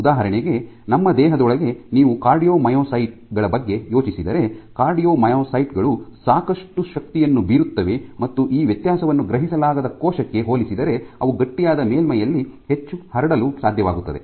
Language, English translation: Kannada, So, for example, within our body if you think of cardiomyocytes, whose job is to exert a lot of forces they might be able to spread much more on a stiff surface compared to a cell which does not have cannot sense this difference